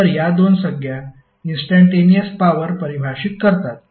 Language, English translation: Marathi, So these two terms are defining the instantaneous power